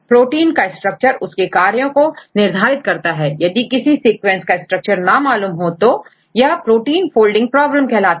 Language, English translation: Hindi, So, in this case it is very important to get the structure for any sequence if the structure is not known right that is called a protein folding problem